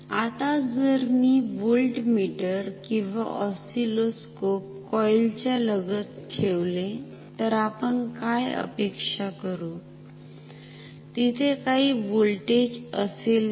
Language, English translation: Marathi, Now, if I put a voltmeter across this coil or an oscilloscope, what do we expect, will there be any voltage